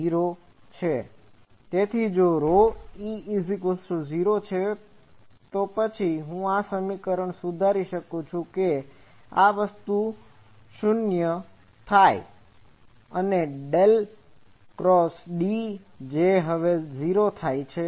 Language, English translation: Gujarati, So, if rho e is 0, then actually I can correct this equation that this thing becomes 0 and del dot D that now becomes 0